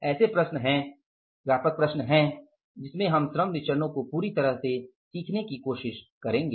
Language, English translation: Hindi, So in the next problem, now which is the third most comprehensive problem we will try to learn in a complete manner all about the labor variances